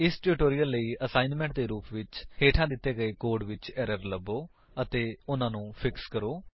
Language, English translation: Punjabi, As an assignment for this tutorial, find out the errors in the code given below and fix them